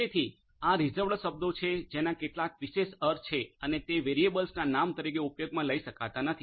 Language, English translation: Gujarati, So, these you know there is this reserved you know words which have some special meaning and which cannot be used as a variable name